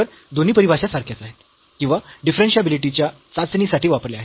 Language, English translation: Marathi, So, the both are equivalent definition or testing for differentiability